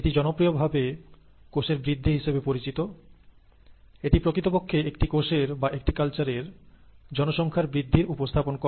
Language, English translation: Bengali, It is referred to as cell growth, but actually means the growth of a population of cells or the growth of culture